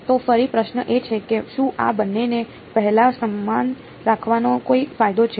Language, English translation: Gujarati, So again so, question is that is there any advantage of keeping these two the same so first